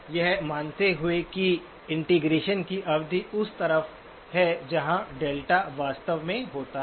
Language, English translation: Hindi, So assuming that the period of integration is on either side of where the delta actually occurs